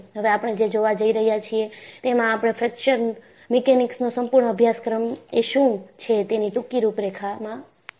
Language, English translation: Gujarati, And now, what we will have to look at is, we have seen a brief outline of what is Fracture Mechanics